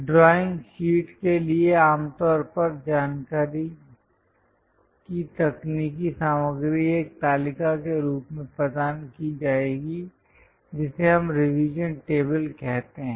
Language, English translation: Hindi, For the drawing sheet usually the technical content or the information will be provided as a table that’s what we call revision table